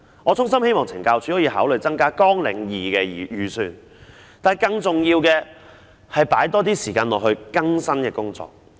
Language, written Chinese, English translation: Cantonese, 我衷心希望懲教署可以考慮增加綱領2的預算，但更重要的是須多花時間在協助在囚人士更生的工作上。, They are facing such a system . I sincerely hope that CSD can consider increasing the estimate for Programme 2 . But more importantly it must spend more time on assisting prisoners in rehabilitation